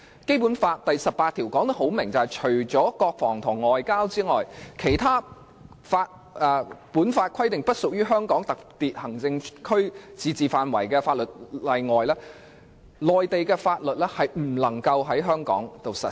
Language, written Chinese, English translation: Cantonese, 《基本法》第十八條清楚訂明，除國防、外交和其他按《基本法》規定不屬於香港特別行政區自治範圍的法律外，內地法律不能在香港實施。, Article 18 of the Basic Law clearly provides that except for laws relating to defence and foreign affairs as well as other matters outside the limits of autonomy of HKSAR under the Basic Law no Mainland law shall be applied in Hong Kong